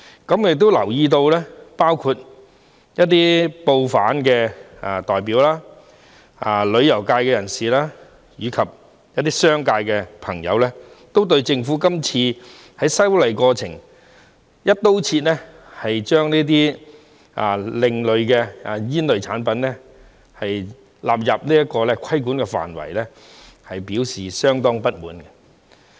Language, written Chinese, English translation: Cantonese, 我亦留意到包括一些報販代表、旅遊界人士，以及商界朋友均對政府今次在修例過程中，"一刀切"將這些另類吸煙產品納入規管範圍，表示相當不滿。, I have also noticed that some people including representatives of newspaper hawkers members of the tourism industry and friends from the business sector have expressed their deep dissatisfaction with the Governments across - the - board approach in bringing these alternative smoking products under regulatory control in the course of this legislative amendment exercise